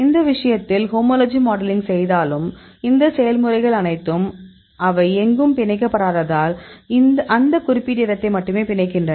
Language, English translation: Tamil, In this case even if you to homology modeling; all these process, because they do not bind anywhere they bind only that particular place